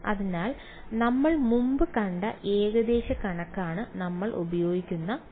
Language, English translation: Malayalam, So, that approximation which we have seen before that is the part that we are going to use